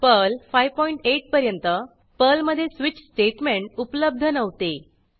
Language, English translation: Marathi, Till Perl 5.8, there was no switch statement in Perl